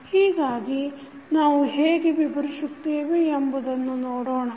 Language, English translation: Kannada, So, let us see how we describe it